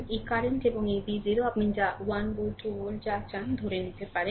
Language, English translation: Bengali, This current and this V 0 you can assume whatever you want 1 volt 2 volt